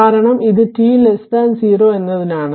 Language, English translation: Malayalam, So, this is minus t 0 right